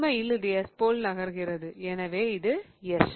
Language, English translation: Tamil, So, in fact this is moving like S and this is S